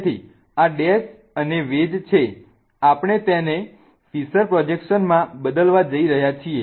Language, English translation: Gujarati, Okay, so this is dash and wedge and we are going to convert this to a fissure projection